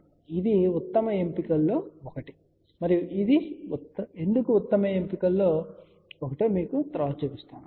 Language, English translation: Telugu, So, this is one of the best option and will show you later on why these are the best option